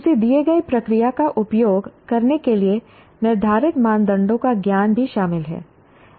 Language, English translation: Hindi, Also includes knowledge of the criteria used to determine when to use a given procedure